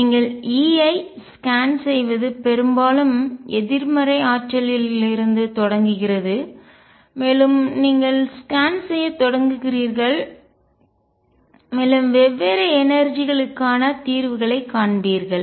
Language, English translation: Tamil, You scan over E start from a very largely negative energy and you start scanning and you will find solutions for different energies